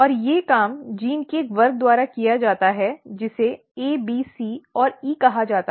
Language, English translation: Hindi, And these job is done by a class of genes which is called A B C and E